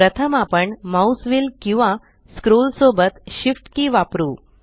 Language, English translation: Marathi, First we use the Shift key with the mouse wheel or scroll